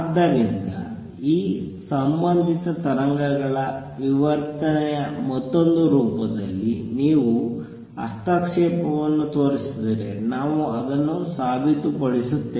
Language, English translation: Kannada, So, if you can show the interference another form of which is diffraction of these associated waves then we prove it